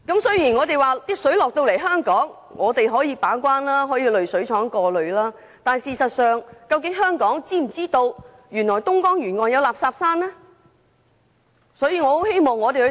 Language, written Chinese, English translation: Cantonese, 雖然食水輸送到香港後可由本地把關，在濾水廠進行過濾，但港府事實上是否知道東江沿岸有垃圾山的問題？, It is true that after the transportation of the water to Hong Kong our water treatment works can do some filtering as a means of quality control but we must still ask the Hong Kong Government whether it is aware of the rubbish mounds along Dongjiang River